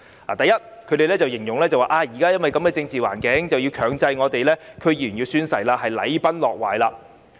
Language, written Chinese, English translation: Cantonese, 第一，他們形容在目前的政治環境下，強制區議員宣誓是禮崩樂壞。, First they described the compulsory oath - taking requirements for DC members under the present political circumstances as a collapse of conventions and institutions